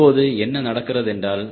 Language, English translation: Tamil, now what is happening